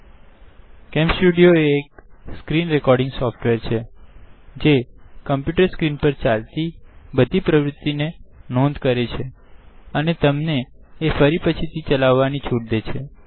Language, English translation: Gujarati, CamStudio is a screen recording software, that records all activities which you see on your computer screen and allows you to play them back later on